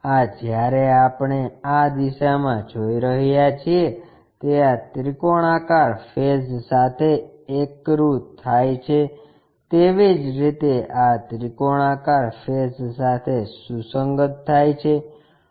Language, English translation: Gujarati, This one when we are looking this direction coincides with this triangular face, similarly this one coincides with that triangular face